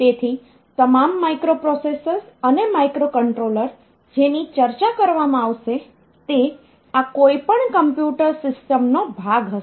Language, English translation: Gujarati, So, all though the microprocessors and microcontrollers that will be discussing they will be part of this any computer system